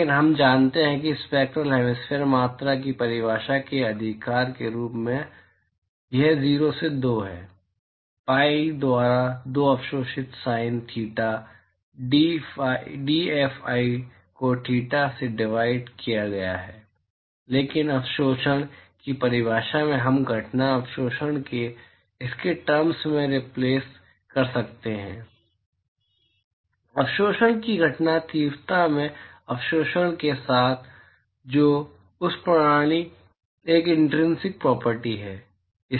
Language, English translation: Hindi, But we know from definition right of the spectral hemispherical quantity this is 0 to 2, pi by 2 absorbed sine theta dphi divided by dtheta, but from the definition of absorptivity we can replace the incident absorptivity in terms of it is the incident intensity of absorption with the absorptivity, which is an intrinsic property of that system